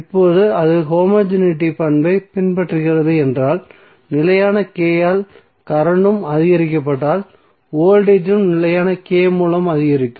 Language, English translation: Tamil, Now if it is following the homogeneity property it means that if current is increased by constant K, then voltage also be increased by constant K